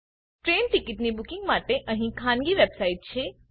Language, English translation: Gujarati, There are private website for train ticket booking